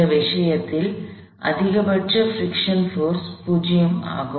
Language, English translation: Tamil, In this case, the maximum friction force is 0